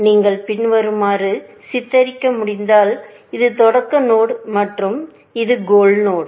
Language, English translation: Tamil, If you can depict as follows; this is the start node and this is the goal node